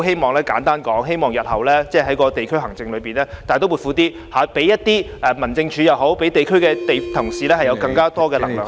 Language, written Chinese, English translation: Cantonese, 所以，簡單而言，我希望日後在地區行政方面，政府能大刀闊斧一點，讓民政處負責地區行政的同事有更多權力做相關工作......, To put it simply I hope that the Government can take a more drastic step in respect of district administration in the future by giving more power to Home Affairs Department officers who are responsible for district administration to do the relevant work